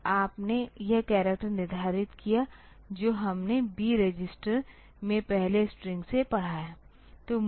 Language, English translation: Hindi, Then you set this character; that we have read from the first string into the B register